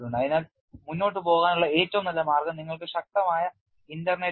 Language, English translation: Malayalam, So, the best way to go about is you have powerful internet